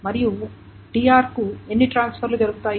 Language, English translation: Telugu, Now, how many transfers are done for TR